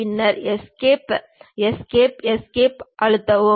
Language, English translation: Tamil, Then press Escape Escape Escape